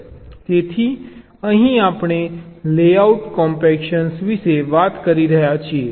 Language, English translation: Gujarati, so here we talked about layout compaction